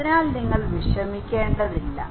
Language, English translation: Malayalam, So, you do not need to worry